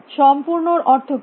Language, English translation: Bengali, What is meaning of complete